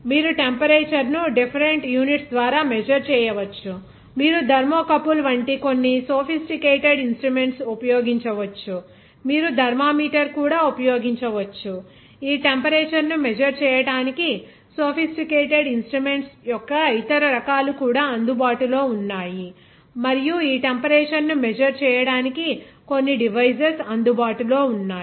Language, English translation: Telugu, The temperature you can measure by different units, even some sophisticated instruments like thermocouple you can use, even the thermometer you can use, even other different types of a sophisticated instrument of measuring this temperature are available and devices are available to measure this temperature